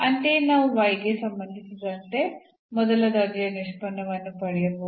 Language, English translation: Kannada, Similarly, we can get the first order derivative with respect to y